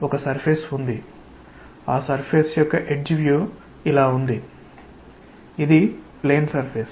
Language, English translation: Telugu, There is a surface the edge view of the surface is like this it is a plane surface